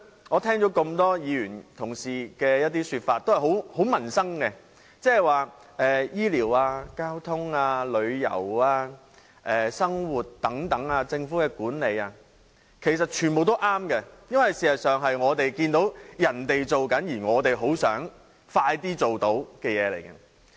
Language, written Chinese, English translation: Cantonese, 我聽到多位議員的說法也和民生息息相關，即醫療、交通、旅遊、生活和政府管理等，其實全部也正確，因為事實上，這些是我們看到其他地區已經做到，而我們很想盡快做到的事情。, I found that the points raised by a number of Members are related to public living that is health care transport travel daily life government administration etc . In fact all of these points are correct because they are actually the achievements we have seen made in other places ones which we also want very much to do as soon as possible